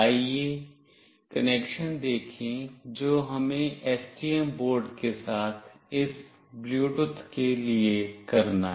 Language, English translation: Hindi, Let us see the connection that we have to do for this Bluetooth with STM board